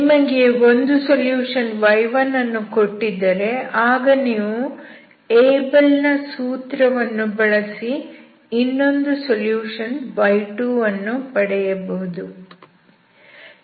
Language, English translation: Kannada, So, from the Abel’s formula, if you are given one solution, y1 you can find the other solution y2